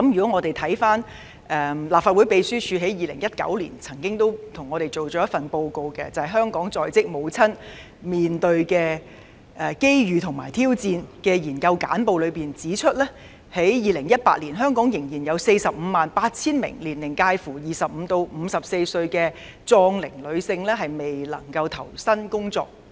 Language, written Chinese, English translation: Cantonese, 我們看看立法會秘書處在2019年為我們做的報告——"香港在職母親面對的機遇和挑戰"《研究簡報》，當中指出，香港在2018年仍有約 458,000 名年齡介乎25歲至54歲的壯齡女性未能投身工作。, Let us look at the report prepared for us by the Legislative Council Secretariat in 2019―Research Brief Opportunities and challenges facing maternal workforce in Hong Kong the report which states that in 2018 there were still 458 000 non - working local females at prime age that is women aged 25 to 54